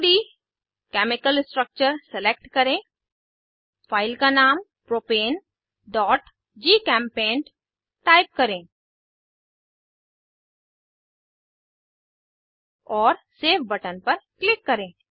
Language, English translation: Hindi, Select 2D Chemical structure Type the file name as propane.gchempaint, and click on Save button